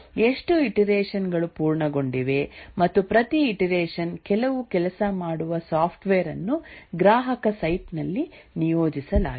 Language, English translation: Kannada, How many iterations have been completed and each iteration some working software is deployed at the customer site